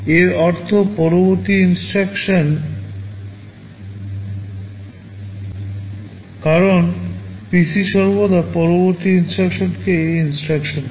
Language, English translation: Bengali, This means the next instruction, because PC always points to the next instruction